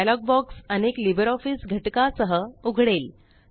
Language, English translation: Marathi, A dialog box opens up with various LibreOffice components